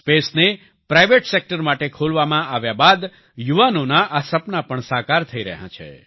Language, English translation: Gujarati, After space was opened to the private sector, these dreams of the youth are also coming true